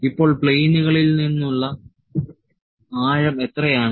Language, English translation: Malayalam, So, how much is the depth from the planes